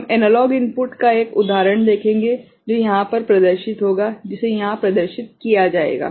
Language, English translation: Hindi, So, that will be compared with the analog input, that will be compared with the analog input